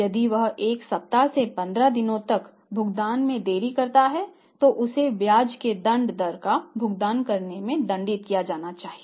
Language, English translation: Hindi, But if it is like a week or 15 days or a month then he should be penalized by charging the penal rate of interest